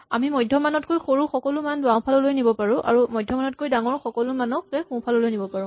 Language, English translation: Assamese, We could move all the values smaller than the median to the left half and all of those bigger than the median to the right half